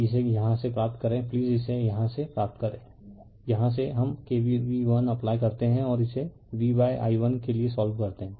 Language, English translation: Hindi, That this from here from here you please derive this from here right you derive this from here we apply k v l and solve it for v by i 1